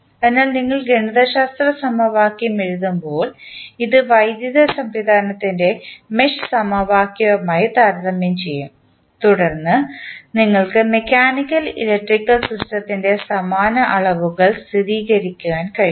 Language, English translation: Malayalam, So, when you write the mathematical equation you will compare this with the mesh equation of the electrical system and then you can stabilize the analogous quantities of mechanical and the electrical system